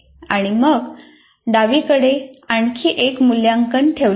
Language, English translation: Marathi, And then we have put another evaluate on the left side